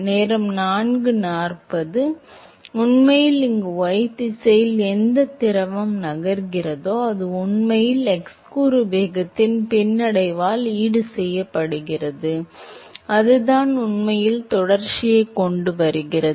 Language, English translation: Tamil, Because, whatever fluid that is actually moving in the y direction here, that is actually compensated by the retardation of the x component velocity, that is what actually brings the continuity